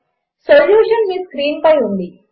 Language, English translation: Telugu, The solution is on your screen